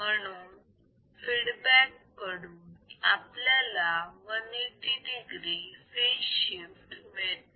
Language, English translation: Marathi, So, output of 180 degree feedback is 180 degree